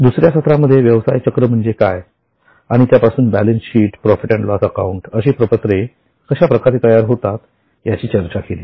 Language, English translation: Marathi, In the second session we discussed what is a business cycle and from that how the main financial statements that is balance sheet and P&L account emerges